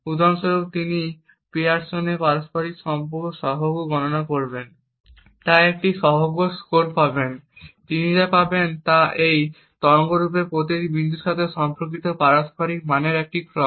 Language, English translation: Bengali, For example, he would compute the Pearson’s correlation coefficient and therefore he would get a coefficient score, does what he would obtain is a sequence of correlation values corresponding to each point in this waveform